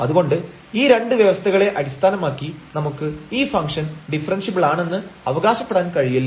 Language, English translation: Malayalam, So, we cannot claim based on these two conditions that the function is differentiable